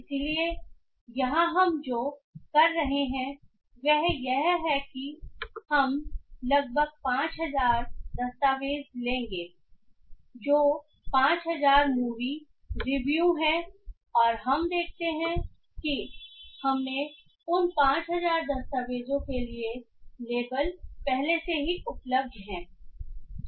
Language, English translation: Hindi, So, here what we will be doing is that we will be taking about 5,000 documents which are 5,000 movie reviews and we see and we will we are already provided with the labels for those 5,000 documents